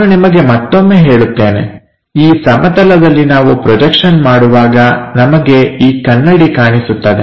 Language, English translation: Kannada, Let me tell you once again on to this plane when we are projecting what we will see is this mirror